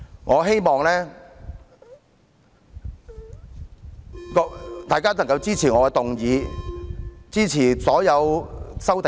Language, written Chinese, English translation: Cantonese, 我希望大家能夠支持我提出的議案，以及所有修正案。, I hope Members will support my motion and all the amendments